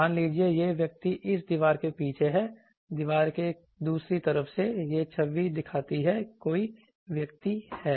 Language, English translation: Hindi, Suppose, this person is behind this wall from the other side of the wall, this image shows that there is a person